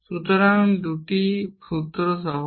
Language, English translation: Bengali, So, the 2 formulas are simple